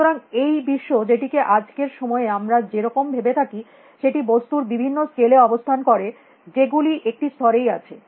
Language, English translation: Bengali, So, the world as we think of nowadays exists at these very different scales of things; that are at one level